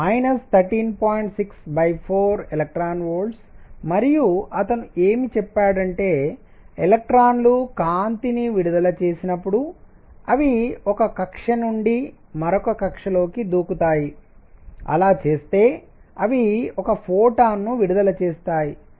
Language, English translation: Telugu, 6 over 4 e V and so on what he said is when electrons emit light they jump from one orbit to the other in doing so, they emit one photon